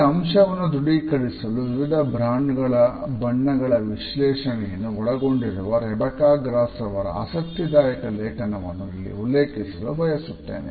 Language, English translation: Kannada, I would refer here to a very interesting article by Rebecca Gross who has analyzed certain brand colors to prove this idea